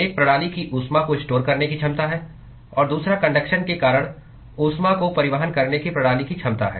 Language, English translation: Hindi, One is the ability of the system to store heat, and the other one is the ability of the system to transport heat because of conduction